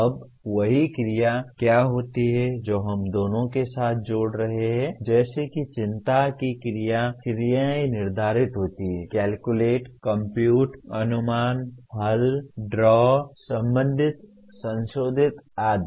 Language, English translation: Hindi, Now what happens the same action verbs that we will be associating with both of them like action verbs of concern are determine, calculate, compute, estimate, solve, draw, relate, modify, etc